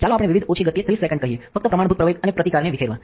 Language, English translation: Gujarati, So, let us say 30 seconds at a various small speed, just to disperse the resists and a standard acceleration